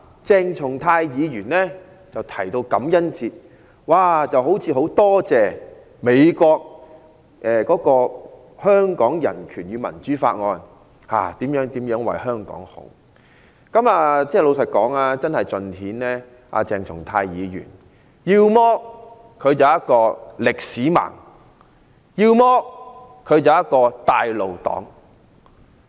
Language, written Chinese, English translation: Cantonese, 鄭松泰議員提到感恩節，好像很感謝美國通過《香港人權與民主法案》如何為香港好，老實說，真的盡顯鄭松泰議員要麼是一名"歷史盲"，要麼是一名"帶路黨"。, When Dr CHENG Chung - tai mentioned Thanksgiving Day he seemed to be very grateful that the United States passed the Hong Kong Human Rights and Democracy Act for the good of Hong Kong . Honestly this shows that Dr CHENG Chung - tai is either a history illiterate or a traitor to usher the enemy into the country